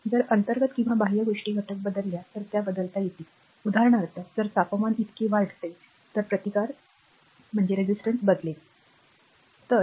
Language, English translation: Marathi, So, that it can be change if you internal or external things are that element altered; for example, if it a temperature increases so, resistance change right =